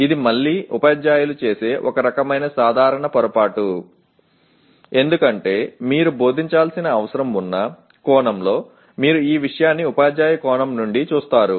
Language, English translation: Telugu, This is again a kind of a common mistake that is done by several teachers because you look at the subject from a teacher perspective in the sense that I need to teach